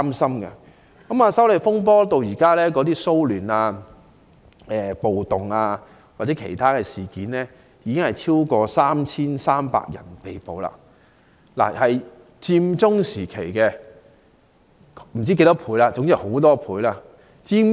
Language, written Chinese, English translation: Cantonese, 修例風波引起的騷亂、暴動或其他事件中，至今已有超過 3,300 人被捕，大概比佔中時期被捕人士的數目超出很多倍。, In the disturbances riots and other incidents arising from the opposition to the proposed legislative amendments more than 3 300 people have been arrested so far which is many times more than the number arrested during Occupy Central